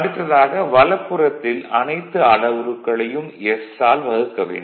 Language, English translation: Tamil, Now next is next is this this right hand side you divide this thing by s